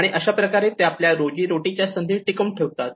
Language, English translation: Marathi, And that is how they sustain they livelihood opportunities